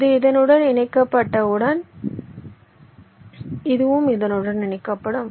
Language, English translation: Tamil, this will be connected to this